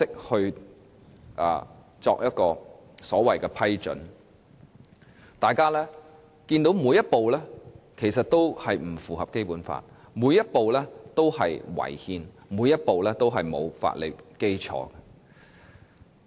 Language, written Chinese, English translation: Cantonese, 大家看到過程當中每一步也是不符合《基本法》，每一步也是違憲，每一步也是沒有法理基礎的。, The second step would then be for NPC to approve the Co - operation Agreement . During the whole process we can see that none of the steps is consistent with the Basic Law; and none of the steps is constitutional with legal backing